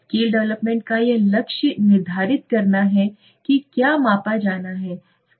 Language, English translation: Hindi, It says the goal of the scale development is to precisely quantify what is to be measured